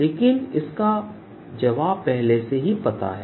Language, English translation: Hindi, but i all ready know the answer of this